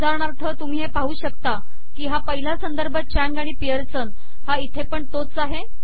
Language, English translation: Marathi, See the example, the first reference is Chang and Pearson, here also Chang and Pearson